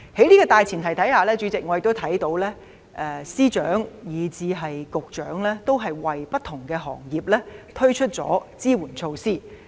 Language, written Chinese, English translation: Cantonese, 主席，在這樣的大前提下，我看到財政司司長及各局局長，都為不同行業推出支援措施。, Chairman I notice that the Financial Secretary and various Directors of Bureaux have on this premise launched support measures for different industries and trades